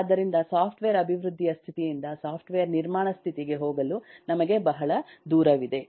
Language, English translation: Kannada, so we have a long way to go from the status of software development to the status of software construction